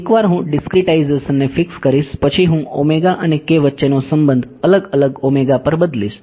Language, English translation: Gujarati, Yeah, once I fix a discretization I will change the relation between omega and k at different omegas